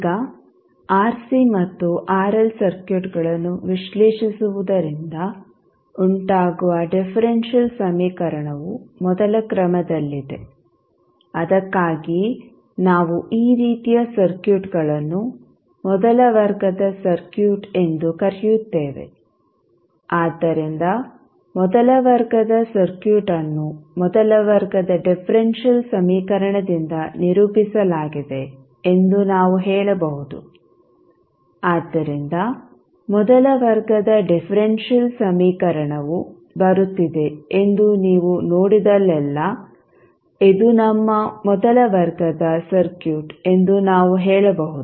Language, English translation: Kannada, Now, the differential equation resulting from analyzing the rc and rl circuits, are of the first order so that is why we called these type of circuits as first order circuit, so we can say that first order circuit is characterize by a first order differential equation, so wherever you see that there is a first order differential equation coming then, we can say this is our first order circuit